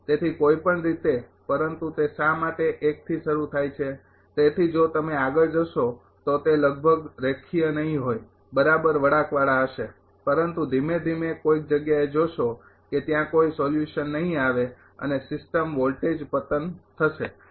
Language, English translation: Gujarati, So, in anyway so but that is why it is starting from 1, so if you go on its almost not linear exactly curvilinear, but gradually will find at some point there will be no solution and system voltage will collapse right